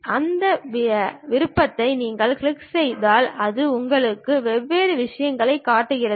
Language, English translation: Tamil, You click that option it shows you different things